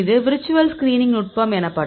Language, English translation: Tamil, This the technique called virtual screening